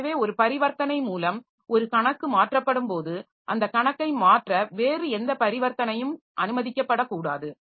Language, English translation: Tamil, So, whenever one account is being modified by a transaction, so no other transaction should be allowed to modify that account